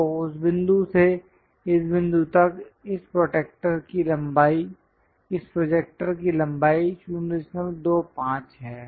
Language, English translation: Hindi, So, this point to that point, this projector length is 0